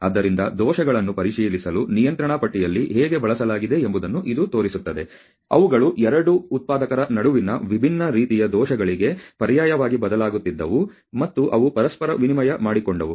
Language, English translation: Kannada, So, it shows how control charts were used for checking the defects, which were actually alternating for different kind of defects between the 2 manufactures and they was simply exchanged on each other